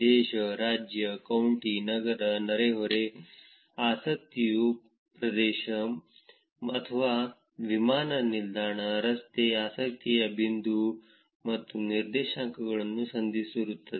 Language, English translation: Kannada, Country, state, county, city, neighborhood, area of interest or airport, street, point of interest and coordinates